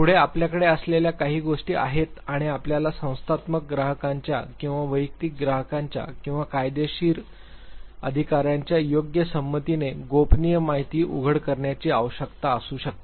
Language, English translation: Marathi, Further there are certain things where you have to or you may be required to disclose the confidential information with the appropriate consent of the organizational clients or the individual clients or the legal authorities